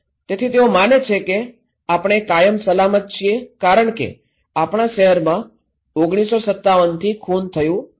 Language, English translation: Gujarati, So, he believes that we are safe forever because that our town has not had a murder since 1957